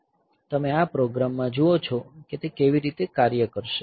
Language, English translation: Gujarati, So, you see that in this program how will it operate